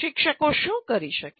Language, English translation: Gujarati, And what can the teachers do